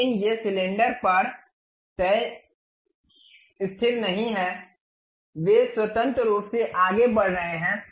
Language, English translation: Hindi, But these are not fixed on the cylinder, they are freely moving